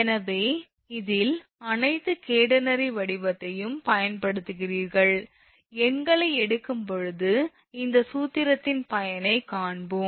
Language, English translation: Tamil, So, this is your using all catenary shape and these are all relationship when you will take the numericals at the time we will see the usefulness of this formula